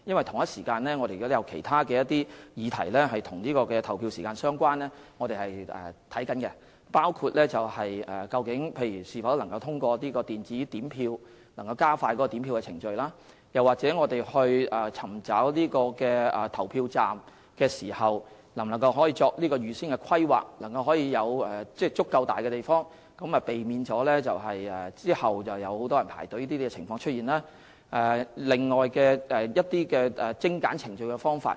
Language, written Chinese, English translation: Cantonese, 同一時間，我們正研究其他與投票時間相關的議題，包括能否通過電子點票來加快點票程序；在尋找地方作投票站時能否預先規劃，務求有足夠大的地方，避免有很多人排隊輪候投票的情況出現；以及其他精簡程序的方法。, Meanwhile we are studying other issues related to polling hours including whether the counting procedure can be expedited through electronic counting of votes; whether we can plan in advance when looking for venues for polling stations to make sure that they are big enough so as to avoid the scenario of many people having to wait in queues to vote; and other ways to streamline procedures